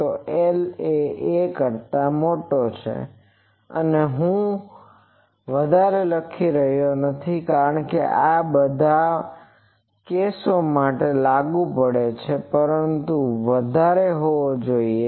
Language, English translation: Gujarati, So, l is greater than a, and I am not writing much greater, because this is applicable for all these cases, but l should be greater